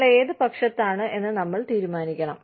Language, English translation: Malayalam, We have to decide, which side, we are on